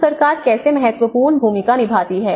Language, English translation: Hindi, So how government plays an important role